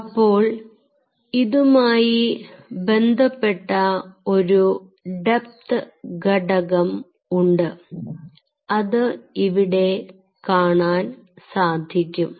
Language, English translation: Malayalam, ok, so there is a depth component associated with it and that could be seen here